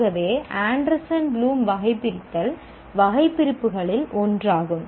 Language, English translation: Tamil, So to that extent Anderson and Bloom taxonomy is one of the taxonomies